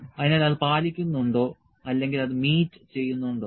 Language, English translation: Malayalam, So, whether it adheres or does it meet